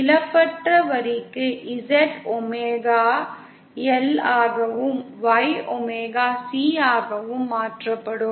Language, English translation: Tamil, For a lossless line, Z will get converted to omega L and Y will be converted to omega C